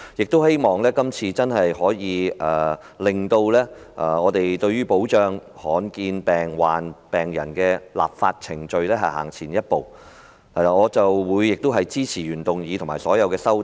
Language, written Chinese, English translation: Cantonese, 我希望這次真的可以令保障罕見疾病病人的立法程序走前一步，我亦會支持原議案和所有修正案。, I hope that this debate can truly achieve a step forward in the process of enacting legislation for protecting rare disease patients and I will support the original motion and all the amendments